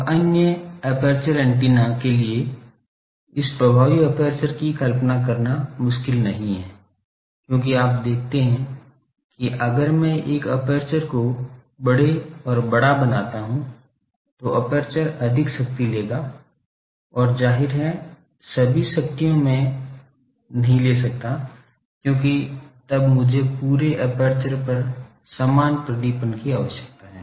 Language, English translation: Hindi, Now, for other aperture antennas it is not difficult to visualize this effective aperture, because you see that larger and larger, if I make a aperture, then aperture will take more power and obviously, all the powers I cannot take because, then I require uniform illumination over the whole aperture